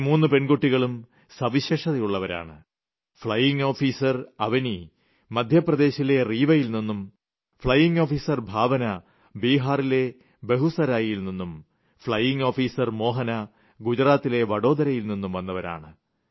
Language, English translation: Malayalam, Flying Officer Avni is from Rewa in Madhya Pradesh, Flying Officer Bhawana is from Begusarai in Bihar and Flying Officer Mohana is from Vadodara in Gujarat